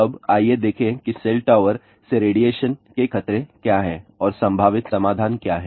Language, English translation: Hindi, Now, let us look into what are the radiation hazards from cell tower and what are the possible solution